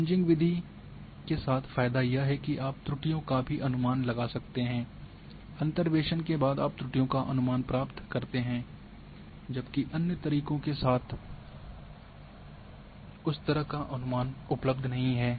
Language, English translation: Hindi, So, the advantage with Kriging method that you can also estimate errors after the interpolation you get the estimation of errors where as with other methods that kind of estimation is not available